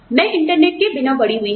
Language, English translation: Hindi, I grew up, without the internet